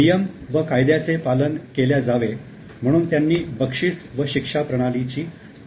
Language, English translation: Marathi, He devised a system of reward and punishment to ensure compliance of rules and regulation